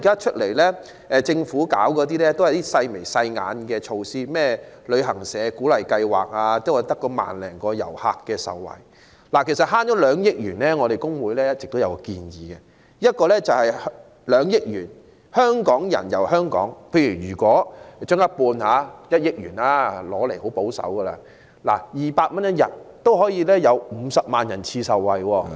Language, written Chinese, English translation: Cantonese, 其實，就省下來的2億元，我們工聯會一直有一項建議，就是從這2億元中撥出一部分，例如一半，即1億元，用作推出"香港人遊香港"計劃，以每人每天200元資助額計算，便可有50萬人次受惠......, Actually regarding the 200 million saving The Hong Kong Federation of Trade Unions FTU has been advancing a proposal to allocate a portion of this 200 million say one half ie . 100 million for launching a local tour programme targeting Hong Kong people . Calculating on the basis of a 200 subsidy per person per day 500 000 persons will benefit